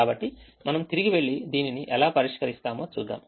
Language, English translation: Telugu, so let's go back and see how we solve this